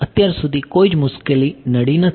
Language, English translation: Gujarati, So far there has not been any difficulty